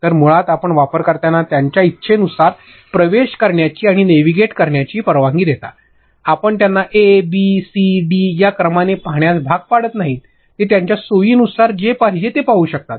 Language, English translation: Marathi, So, basically you allow the users to go in and navigate as for they wish, you do not force them that you see a, b, c, d in this order itself, they can watch whatever they want at their convenience ok